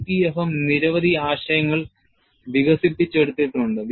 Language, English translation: Malayalam, And many concepts have been developed in EPFM